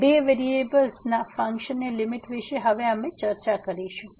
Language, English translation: Gujarati, So, Limit of Functions of Two Variables, we will discuss now